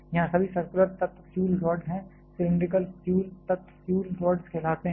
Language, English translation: Hindi, Here all the circular elements are the fuel rods, cylindrical fuel elements are called fuel rods